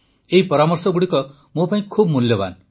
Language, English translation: Odia, These suggestions are very valuable for me